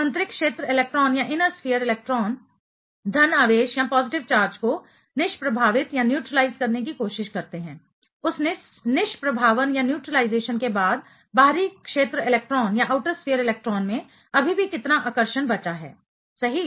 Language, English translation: Hindi, Inner sphere electron try to neutralize the positive charge; after those neutralization how much attraction still left at the outer sphere electron right